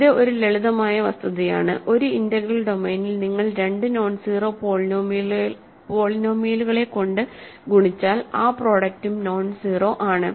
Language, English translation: Malayalam, It is a simple fact, right if you multiplied two nonzero polynomials over an integral domain the product is also nonzero